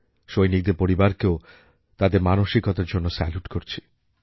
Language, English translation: Bengali, I also salute the families of our soldiers